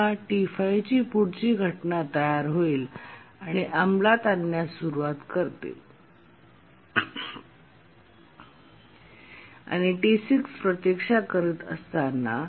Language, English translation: Marathi, And again the next instance of T5 becomes ready, starts executing, and so on